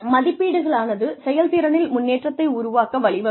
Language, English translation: Tamil, Appraisals can leads to improvement in performance